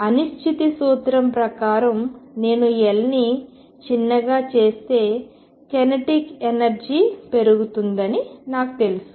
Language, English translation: Telugu, From uncertainty principle I know that if I make L smaller the kinetic energy goes up